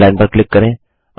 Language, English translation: Hindi, Click on Underline